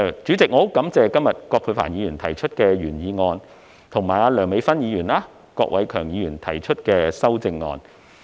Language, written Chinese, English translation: Cantonese, 主席，我很感謝葛珮帆議員今天提出原議案，以及梁美芬議員和郭偉强議員提出修正案。, President I am very grateful to Ms Elizabeth QUAT for proposing the original motion today and to Dr Priscilla LEUNG and Mr KWOK Wai - keung for proposing the amendments